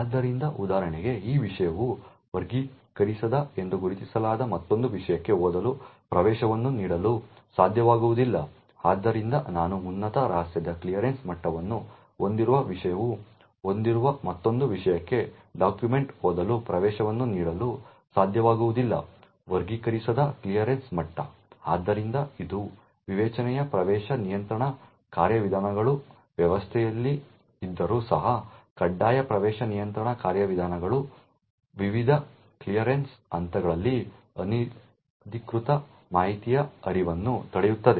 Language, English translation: Kannada, So for example this subject will not be able to grant a read access to another subject who is marked as unclassified, so I subject with a clearance level of top secret will not be able to grant read access for a document to another subject who has an clearance level of unclassified, so this would ensure that even though the discretionary access control mechanisms are present in the system, the mandatory access control mechanisms would prevent unauthorised flow of information across the various clearance levels